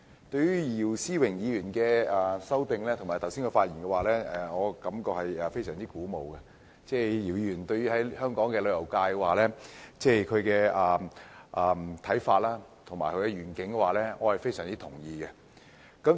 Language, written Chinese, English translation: Cantonese, 對於姚思榮議員的修正案和他剛才的發言，我感到非常鼓舞，而姚議員對香港旅遊界的看法和願景，我也是非常認同的。, I am very much encouraged by Mr YIU Si - wings amendment and the speech he made earlier . I also strongly agree with Mr YIUs views on and vision for the tourism sector of Hong Kong